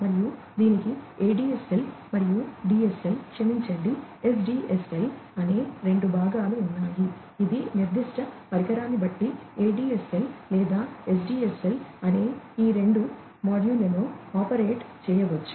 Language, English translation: Telugu, And, it has two parts the ADSL and the DSL, sorry, SDSL; it can be operated in 2 modes ADSL or SDSL depending on the particular device, that is there